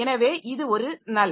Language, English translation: Tamil, So, this is a null